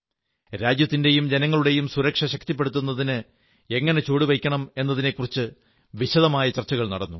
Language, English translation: Malayalam, What kind of steps should be taken to strengthen the security of the country and that of the countrymen, was discussed in detail